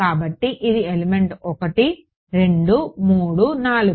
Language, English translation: Telugu, So, this is element 1 2 3 4